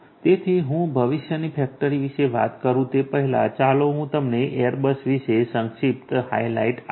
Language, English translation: Gujarati, So, before I talk about the factory of the future let me give you a brief highlight about Airbus